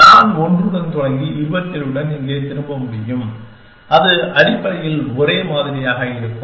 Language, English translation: Tamil, I could start with 1 and return 27 here and that would be the same essentially